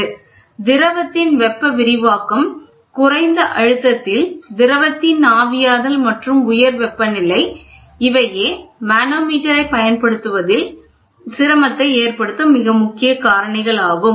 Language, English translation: Tamil, Thermal expansion of the fluid and evaporation of the fluid at low pressure and high temperature conditions, these are some of the very important points which make difficulty in using manometer